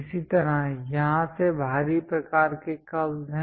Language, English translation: Hindi, Similarly, there are exterior kind of curves from here